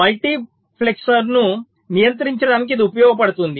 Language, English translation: Telugu, this will can be used to control the multiplexer